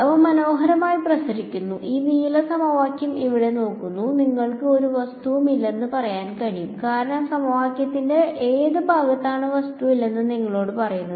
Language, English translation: Malayalam, They are nicely radiating and looking at this blue equation over here, you can tell that there is no object because which part of the equation tells you that there is no object